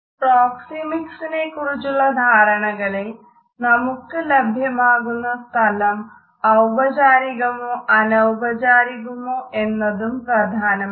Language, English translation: Malayalam, In our understanding of proximity, the way we arrange our space which is available to us in a formal or an informal setting is also important